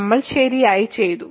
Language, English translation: Malayalam, So, we are done right